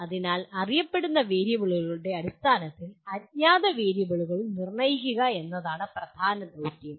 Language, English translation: Malayalam, So the major task is to determine the unknown variables in terms of known variables